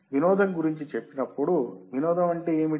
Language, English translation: Telugu, When say entertainment what does entertainment means